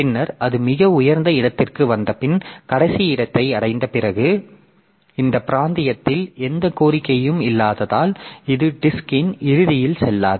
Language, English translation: Tamil, So, this is going from here and then after it has reached the last, after it has come to the highest one, it does not go to the, since in this region there is no request, so it does not go to the end of the disk